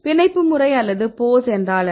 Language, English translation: Tamil, So, what is the binding mode or the pose